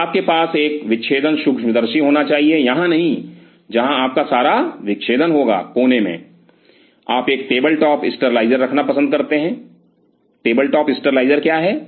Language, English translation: Hindi, So, you have to have a dissecting microscope inside not here where all your dissection will take place in the corner, you prefer to have a table top sterilizer what is a table top sterilizer